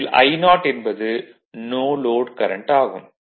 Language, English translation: Tamil, So, this is the currentI that is no load current I 0